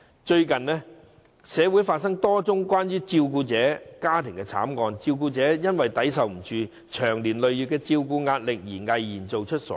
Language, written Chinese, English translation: Cantonese, 最近，社會發生了多宗涉及照顧者的家庭慘劇，照顧者因承受不了長年累月的照顧壓力，毅然做出傻事。, Recently a number of tragedies involving carers has occurred in the community where the carers concerned resorted to irrational acts when they could no longer bear the pressure of taking care of patients at home over the years